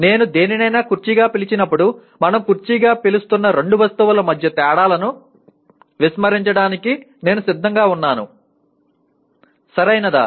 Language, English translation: Telugu, When I call something as a chair, I am willing to ignore the differences between two objects whom we are calling as chair, right